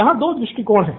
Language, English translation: Hindi, These are from 2 perspectives